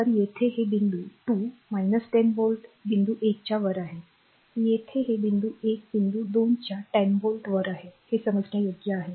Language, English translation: Marathi, So, here it is point 2 is minus 10 volt above point 1; here it is point 1 is 10 volt above point 2 understandable right